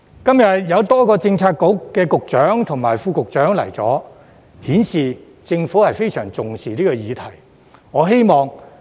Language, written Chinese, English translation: Cantonese, 今天有多位政策局局長及副局長出席，顯示政府非常重視這議題。, The presence of so many Secretaries and Under Secretaries at the meeting today shows that the Government attaches great importance to this issue